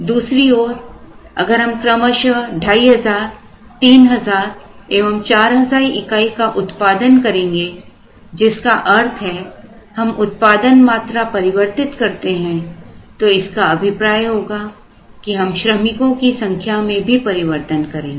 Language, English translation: Hindi, On the other hand, if we produce 2,500, 3,000 and 4,000 every month, which means we are varying the production quantity, which means we are varying the workforce